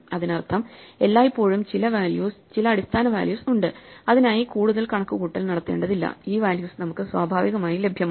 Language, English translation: Malayalam, That means, there are always some values some base values for which no further values need to be computed; these values are automatically available to us